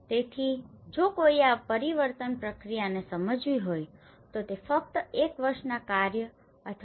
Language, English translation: Gujarati, So, if one has to understand this change process, it is not just we can understand from one year work or two year work